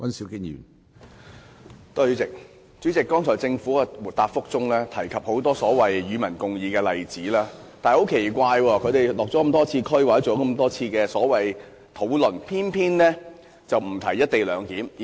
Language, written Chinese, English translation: Cantonese, 主席，政府剛才在主體答覆中提及很多所謂"與民共議"的例子，但很奇怪的是，政府多次落區或進行討論，偏偏沒有提及"一地兩檢"。, President the Government has given in the main reply many examples of the so - called public discussion but oddly though government officials have visited the districts a couple of times they have not touched upon the issue of the co - location arrangement